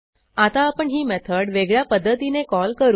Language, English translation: Marathi, So, let us invoke the method a little differently this time